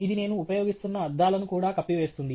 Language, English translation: Telugu, It would also cover the glasses that I am using